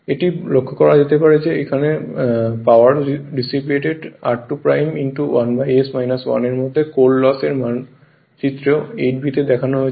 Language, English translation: Bengali, It may be noted that the power dissipated into r 2 dash into 1 upon s minus 1 includes the core loss that is figure 8 b